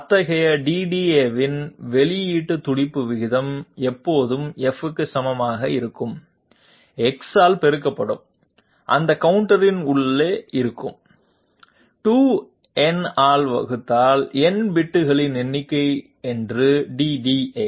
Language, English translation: Tamil, The output pulse rate of any such DDA is always equal to F multiplied by Delta x which is inside that particular counter divided by 2 to the power n if n be the number of bits of that DDA